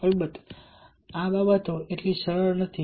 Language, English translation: Gujarati, of course, these things are not so simple